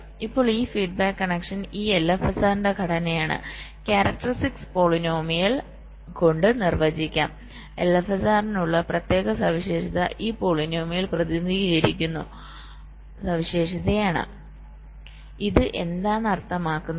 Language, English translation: Malayalam, now this feedback connection are the structure of this l f s r can be defined by something called the characteristic polynomial, like this: particular for for l f s r is represented or characterized by this polynomial